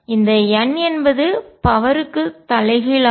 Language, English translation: Tamil, So, this highest power of n in this is 2